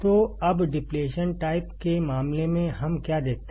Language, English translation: Hindi, So, now, in case of depletion type MOSFET, what we see